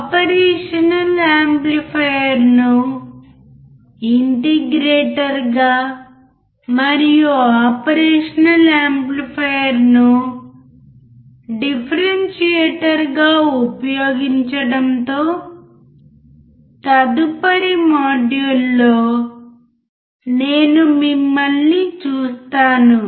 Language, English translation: Telugu, I will see you in the next module with the application of an operational amplifier as an integrator and application of an operational amplifier as a differentiator